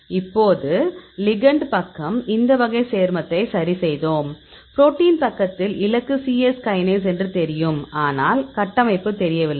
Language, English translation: Tamil, Now the ligand side, we fixed this type of compound; at the protein side, so we know the target is cyes kinase, structure is not known